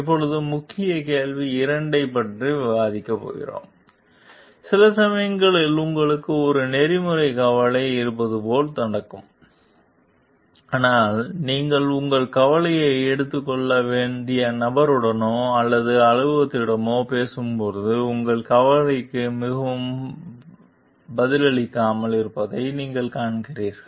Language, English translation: Tamil, Now, we are will going to discuss the key question 2; like it some sometimes it happens like you have an ethical concern, but you find that when you are talking to the person or the office to whom you are supposed to take your concern is very unresponsive of your concerns